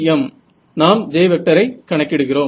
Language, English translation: Tamil, If I know J, I can calculate E right